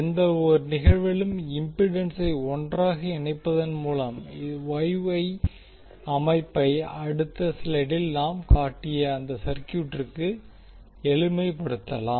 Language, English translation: Tamil, In any event by lumping the impedance together, the Y Y system can be simplified to that VF to that circuit which we shown in the next slide